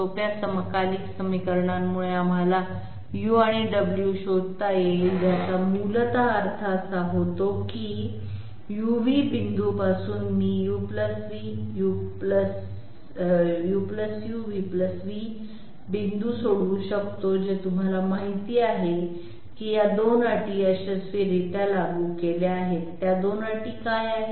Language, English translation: Marathi, Simple simultaneous equations will allow us to find out Delta u and Delta w, which essentially means that from a point U, V, I can solve for point U + Delta u, v + Delta v which is going to you know have the application of these 2 conditions successfully, what are those 2 conditions